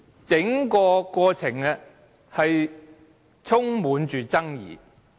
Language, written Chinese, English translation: Cantonese, 整個過程充滿爭議。, The whole process is riddled with controversies